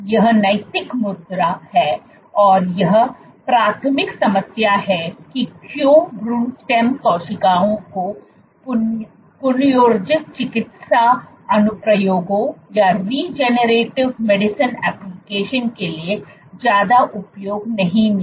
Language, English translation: Hindi, That is the ethical issue that is the main primary problem why embryonic stem cells did not find much use for regenerative medicine applications